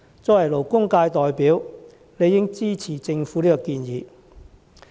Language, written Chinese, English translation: Cantonese, 作為勞工界代表，我理應支持政府的建議。, As a representative of the labour sector I am duty - bound to support the Governments proposal